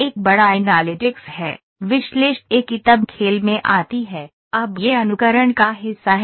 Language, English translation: Hindi, There is a big analytics; analytics comes into play then, now this is the part of simulation